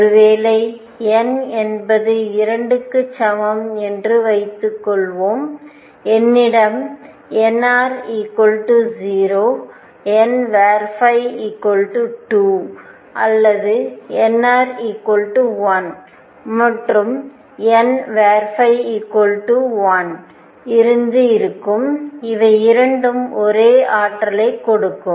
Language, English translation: Tamil, Suppose n equals 2, I could have n r equals 0 n phi equals 2 or n r equals 1 and n phi equals 1 they both give the same energy